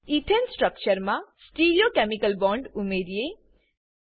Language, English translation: Gujarati, Now let us add Stereochemical bonds to Ethane structure